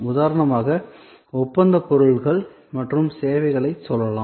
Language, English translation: Tamil, For example, say the contractual goods and services